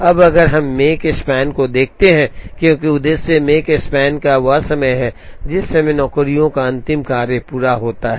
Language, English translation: Hindi, Now if we look at Makespan as the objective Makespan is the time, at which the last of the jobs is completed